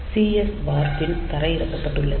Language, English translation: Tamil, So, this cs bar pin is grounded